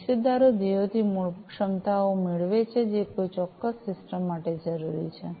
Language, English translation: Gujarati, Stakeholders obtain the fundamental capabilities from the objectives, which are necessary for a particular system